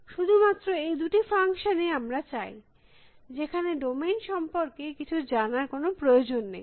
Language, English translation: Bengali, These are the only two functions I need, which know need to know anything about the domain at all